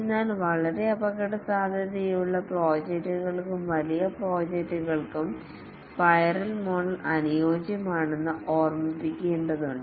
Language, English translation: Malayalam, But then need to remember that the spiral model is suitable for very risky projects and large projects